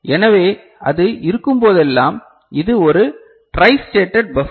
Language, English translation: Tamil, So, whenever it is so, this is a tristated buffer